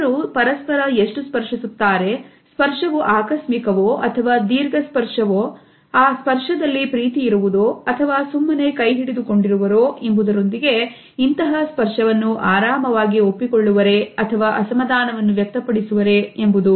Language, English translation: Kannada, How do people touch, how much frequently they touch each other, whether this touch is accidental or is it prolonged is it caressing or is it holding, whether people accept these touches conveniently or do they feel uncomfortable